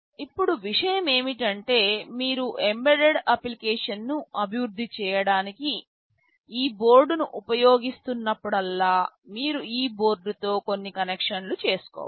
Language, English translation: Telugu, Now the thing is that whenever you are using this board to develop an embedded application you will have to make some connections with this board